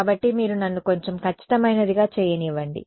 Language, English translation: Telugu, So, you see let me do something a little bit more accurate